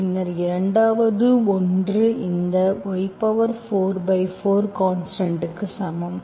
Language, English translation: Tamil, And then the 2nd one is this y power 4 by 4 equal to constant